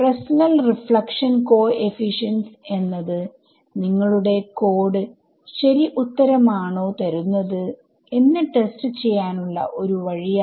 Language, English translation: Malayalam, So, Fresnel reflection coefficients this can be one way of testing whether your code is giving the correct answer any other solutions you can think of